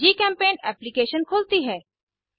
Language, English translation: Hindi, GChemPaint application opens